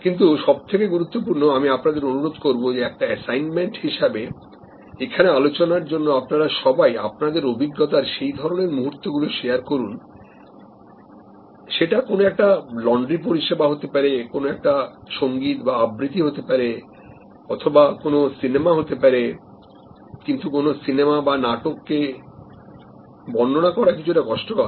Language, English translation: Bengali, But, most importantly I would request you now as an assignment for discussion on the forum and I would request all of you to put in share your experiences of those moments of any service, it could be a laundry service, it could be a musical recital, it can be a movie, but actually the movie or theater may be a little bit more difficult to describe